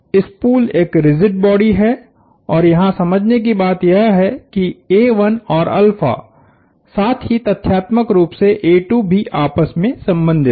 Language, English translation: Hindi, The spool is one rigid body and the point to understand here is that a 1 and alpha and as a matter of fact a 2 as well are related